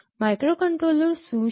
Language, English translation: Gujarati, What is a microcontroller